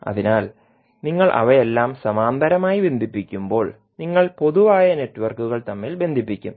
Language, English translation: Malayalam, So when you connect all of them in parallel so the common networks you will tie them together so that the networks the sub networks will be in parallel